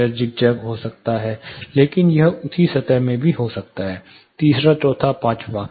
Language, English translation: Hindi, It may be zigzag, but it may also happen in the same plane third fourth fifth